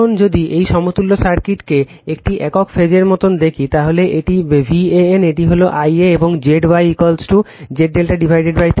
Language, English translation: Bengali, Now, if you see this equivalent circuit like a single phase, so this is V an, this is I a and Z y is equal to Z delta by 3 right